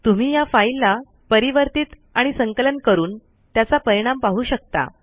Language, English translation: Marathi, You may modify this file, compile and see the results